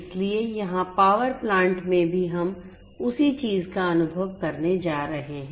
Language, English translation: Hindi, So, here also in the power plant we are going to experience the same thing